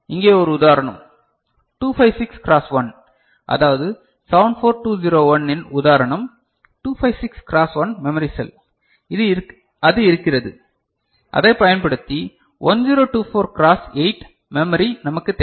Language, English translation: Tamil, So, one such example over here say 256 cross 1 so that means, that example of 74201 which is 256 cross 1 memory cell and that is there and we want a memory which is 1024 cross 8 using it